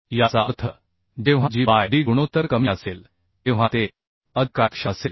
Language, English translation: Marathi, that means when g by d ratio will be low, then it will be more efficient